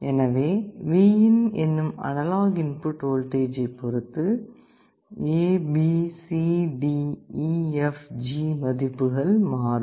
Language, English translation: Tamil, So, depending on the analog input voltage Vin, A B C D E F G values will change